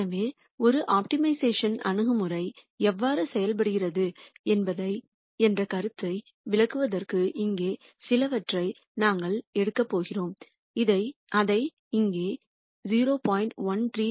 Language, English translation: Tamil, So, just to illustrate the idea of how an optimization approach works we are going to pick some alpha here, which we have picked as 0